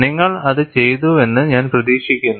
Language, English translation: Malayalam, I hope you have done that